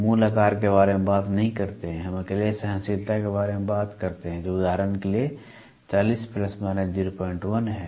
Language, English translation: Hindi, We do not talk about the basic size, we talk about the tolerance alone which is there for example, 40 plus or minus 0